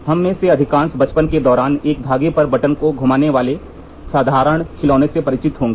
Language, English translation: Hindi, Most of us, during childhood, would be familiar with a simple toy having button spinning on a loop of a string